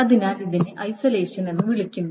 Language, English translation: Malayalam, So that is called an isolation